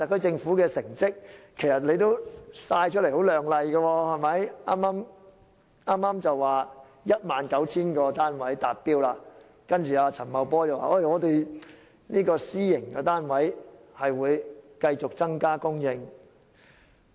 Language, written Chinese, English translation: Cantonese, 政府的成績其實也相當亮麗，剛剛公布供應 19,000 個單位的目標達標，陳茂波司長亦表示私營房屋供應會繼續增加。, It was just announced that the target of 19 000 flats supply had been met and Secretary Paul CHAN has indicated that private housing supply will continue to increase